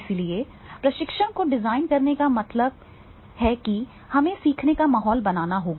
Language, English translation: Hindi, So in designing the training means we have to create a learning environment